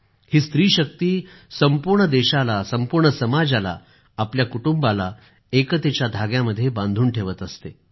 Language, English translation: Marathi, This woman power binds closely together society as a whole, the family as a whole, on the axis of unity & oneness